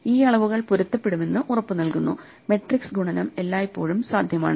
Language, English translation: Malayalam, These dimensions are guaranteed to match, so the matrix multiplication is always possible